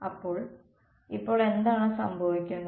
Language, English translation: Malayalam, So, then what